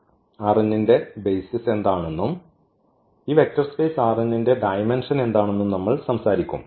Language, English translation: Malayalam, Now, we will talk about what are the basis of R n and what is the dimension of this vector space R n